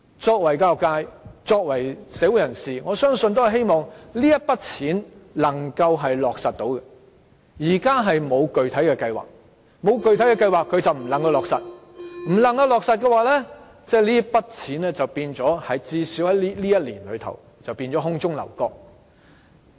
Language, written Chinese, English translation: Cantonese, 作為教育界一分子、作為社會人士，我相信也希望這筆錢能夠落實使用，但現時政府沒有具體計劃，沒有具體計劃便不能落實使用，不能落實的話，這筆錢至少在這一年便會變成空中樓閣。, As a member of the education sector and also a member of society I believe and also hope that the money will be put to good use . However to date the Government does not have any specific plans . If there is no specific planning the money cannot be put to good use; and if the money cannot be put to good use it will at least in this year be something unreal